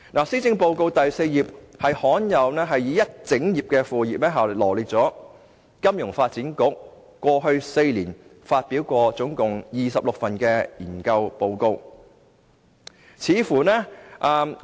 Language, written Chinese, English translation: Cantonese, 施政報告第4頁罕有地用了一整頁，來羅列金發局在過去4年發表的共26份研究報告。, In a fashion rarely seen before the Policy Address gives a whole - page array of totally 26 research reports written by FSDC over the past four years